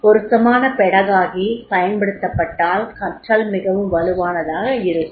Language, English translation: Tamil, If appropriate pedagogy is used, the learning will be very, very strong